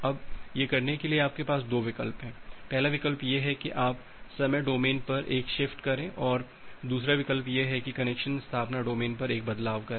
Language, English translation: Hindi, Now to do that you have 2 options the first option is the first option is just, so the first option is you make a shift at the time domain and the second option is that to make a shift at the connection establishment domain